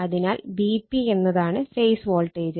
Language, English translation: Malayalam, And V p is equal to my phase voltage